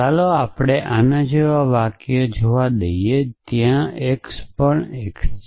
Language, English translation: Gujarati, Let us forget a sentence like this there exist x even x